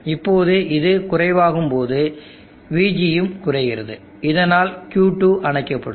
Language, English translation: Tamil, Now when this goes slow VG goes slow, Q2 goes off